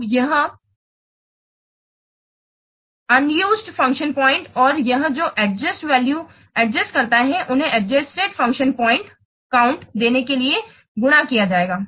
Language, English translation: Hindi, Now, this unadjusted function point and this what are just the value adjust factor, they will be multiplied to give you the adjusted function point count